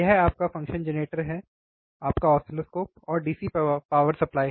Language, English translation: Hindi, This is your function generator your oscilloscope and DC power supply